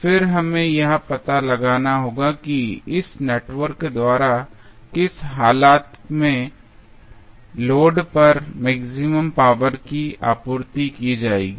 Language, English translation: Hindi, Now, what we have to find out that under what condition the maximum power would be supplied by this network to the load